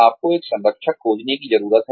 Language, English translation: Hindi, You need to find a mentor